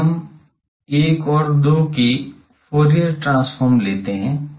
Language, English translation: Hindi, Now, let us take Fourier transform of 1 and 2